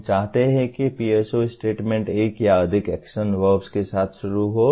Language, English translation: Hindi, We want the PSO statement to start with one or more action verbs